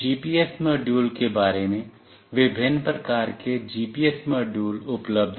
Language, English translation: Hindi, Regarding GPS module, there are various GPS modules available